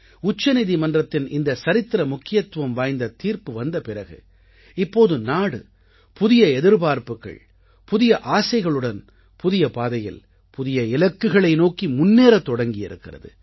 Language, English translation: Tamil, After this historic verdict of the Supreme Court, the country has moved ahead on a new path, with a new resolve…full of new hopes and aspirations